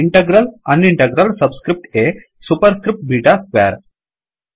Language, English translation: Kannada, Integral, unintegral subscript A, superscript beta square